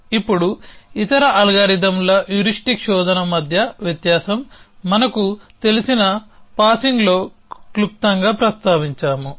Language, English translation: Telugu, Now, the difference between the other algorithms heuristic search, we just briefly mentioned in the passing that we know